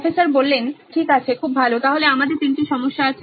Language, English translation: Bengali, Okay, so great, so we have three problems